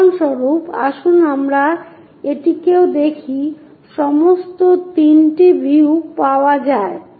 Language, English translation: Bengali, For example, let us look this one also, all the 3 views are available